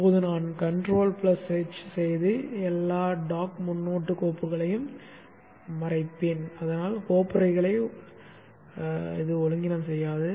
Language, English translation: Tamil, Now I will to control H and hide all the dot prefix files so that it doesn't clutter up the folders